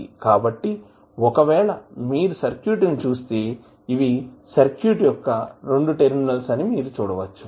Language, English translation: Telugu, so, if you see this circuit you will see if these are the 2 terminals of the circuit